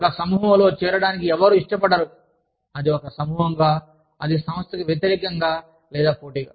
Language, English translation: Telugu, Nobody wants to join a group, that is seen as a group, that is working against, or in competition, with the organization